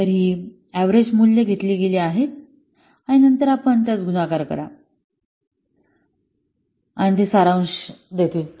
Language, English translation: Marathi, So, these are average values have been taken, and then you multiply them and they take the summation